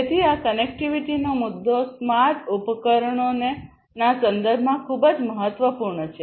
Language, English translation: Gujarati, So, this connectivity issue is very vital in the context of smart devices